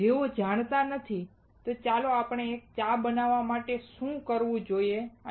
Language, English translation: Gujarati, Those who do not know, let us see what all we need to make a tea